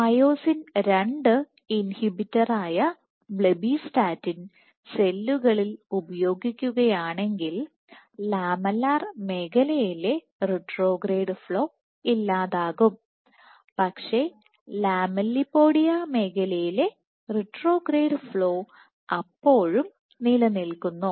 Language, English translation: Malayalam, So, if you inhibit if you treat cells with blebbistatin which is the myosin II inhibitor then the retrograde flow in the lamellar region is eliminated, but the retrograde flow in the lamellipodia region still exists